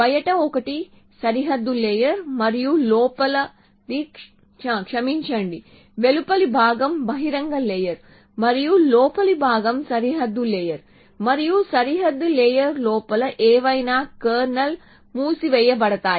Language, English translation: Telugu, So, the outside 1 is the boundary layer the inner 1 is the sorry the outside 1 is the open layer and the inner 1 is the boundary layer and whatever inside the boundary layer is closed all the kernel